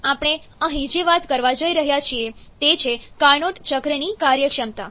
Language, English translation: Gujarati, Then, what we are going to talk here is efficiency of carnot cycle